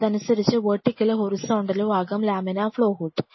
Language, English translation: Malayalam, So, you could have either vertical laminar flow or horizontal laminar flow hood